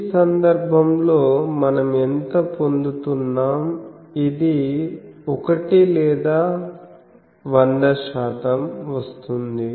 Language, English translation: Telugu, So, how much we are getting in this case, this is 1 or 100 percent